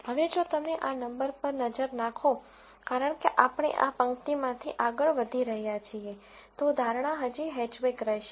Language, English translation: Gujarati, Now, if you look at this number, because we are going across this row, the prediction still remains to be Hatchback